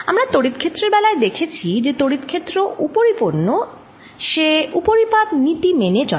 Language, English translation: Bengali, as we saw in the case of electric field, electric field is superimposed, right it ah follows the principle of superposition